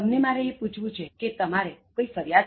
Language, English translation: Gujarati, I want to ask you, have you any complaint